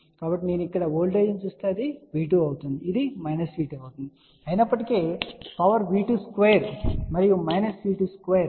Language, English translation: Telugu, So, if I will look at the voltage here so this will be V 2 and this will be minus V 2 even though the power is same V 2 square and minus V 2 square ok